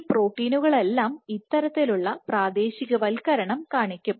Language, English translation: Malayalam, All these proteins will show you this kind of localization